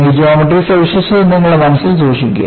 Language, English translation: Malayalam, Keep this geometric feature in your mind